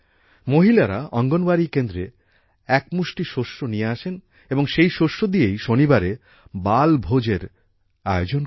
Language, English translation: Bengali, A Matka program was also held, in which women bring a handful of grains to the Anganwadi center and with this grain, a 'Balbhoj' is organized on Saturdays